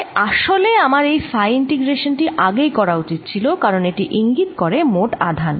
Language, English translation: Bengali, so i actually i should have carried out this phi integration already, because this indicates the total charge on the ring